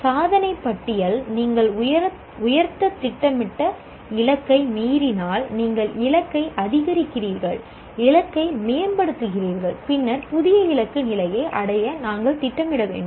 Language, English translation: Tamil, If the achievement exceeds the plan, plan target, you raise the bar, you increase the target, enhance the target and then we need to plan for achieving the new target level